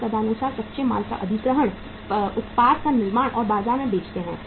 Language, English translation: Hindi, And accordingly acquire the raw material, manufacture the product and sell that in the market